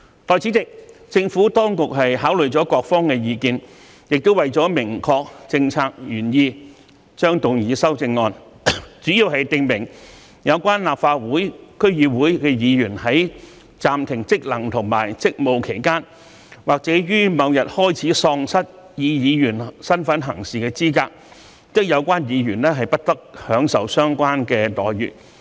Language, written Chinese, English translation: Cantonese, 代理主席，政府當局考慮了各方的意見，也為了明確政策原意，將會動議修正案，主要訂明有關立法會/區議會議員如在暫停職能和職務期間或於某日開始喪失以議員身份行事的資格，則不得享受相應待遇。, Deputy President having considered the views from different parties and for the sake of clarifying the policy intent the Administration will move amendments to mainly provide that a Member of the Legislative CouncilDC member whose functions and duties are suspended or who is disqualified from acting as a member beginning on a date should not enjoy corresponding entitlements